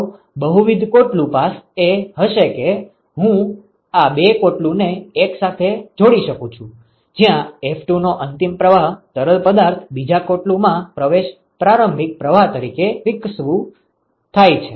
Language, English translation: Gujarati, So, multiple shell pass would be that I could join these two shells together where the outlet fluid of f2 grows as an inlet stream to the second shell